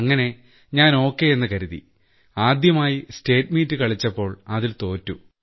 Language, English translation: Malayalam, So I thought okay, so the first time I played the State Meet, I lost in it